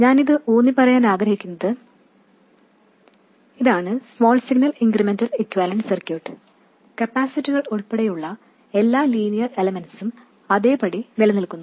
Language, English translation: Malayalam, What I want to emphasize is that this is the small signal incremental equivalent circuit and all linear elements including capacitors remain exactly as they are